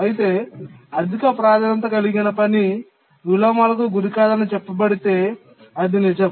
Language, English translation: Telugu, If we said the lowest priority task does not suffer any inversions, that would be true